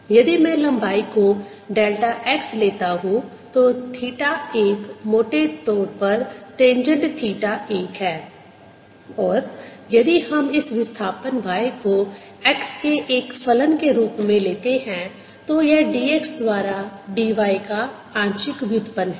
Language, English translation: Hindi, if i take the length here to be delta x, theta one is roughly tangent theta one and if we take this displacement to be y as a, the function of x, this is partial derivative d y by d x